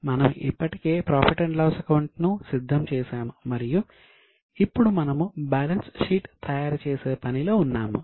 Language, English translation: Telugu, We have already prepared the profit and loss account and now we were in the process of preparing the balance sheet